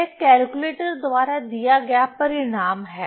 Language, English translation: Hindi, So, this is the result given by the calculator